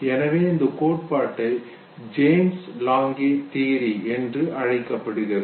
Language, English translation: Tamil, So let us first begin with James Lange Theory, okay